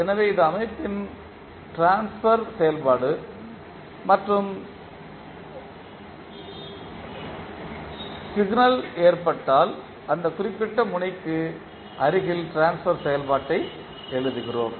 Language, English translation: Tamil, So this is a transfer function of the system and in case of signal we write the transfer function near to that particular node